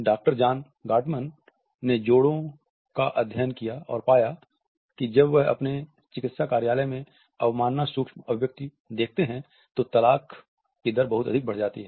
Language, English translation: Hindi, Doctor John Gottman studied couples and he has found that when he sees the contempt micro expression in his therapy office there is a very high rate of divorce